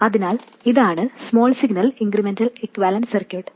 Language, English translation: Malayalam, So, this is the small signal incremental equivalent circuit